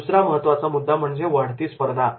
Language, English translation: Marathi, Other strategic issues include increasing competition